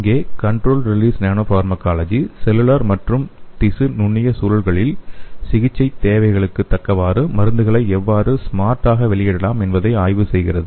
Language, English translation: Tamil, So here the controlled release nanopharmacology studies how to realize this smart release of the drugs according to the therapeutic needs in the cellular and tissue microenvironments